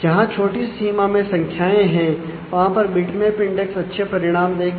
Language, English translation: Hindi, There is a small range of values where bitmap indexes will give you good results